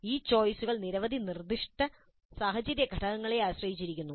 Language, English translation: Malayalam, These choices depend on many specific situational factors